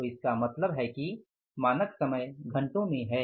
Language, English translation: Hindi, So it means standard time time it is an hours